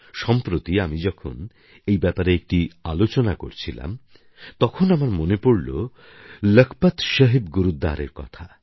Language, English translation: Bengali, Recently, while holding a meeting in this regard I remembered about of Lakhpat Saheb Gurudwara